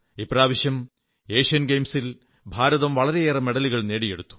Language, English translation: Malayalam, This time, India clinched a large number of medals in the Asian Games